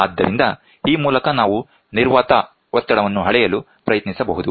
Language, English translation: Kannada, So, with this we can try to measure the vacuum pressure